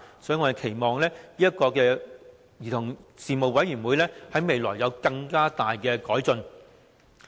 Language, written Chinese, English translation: Cantonese, 所以，我們期望這個兒童事務委員會在未來能有更大改進。, In view of this I hope that greater improvements can be made to this Commission in the future